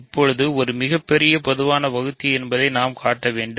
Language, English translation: Tamil, Now, we need to show that it is a greatest common divisor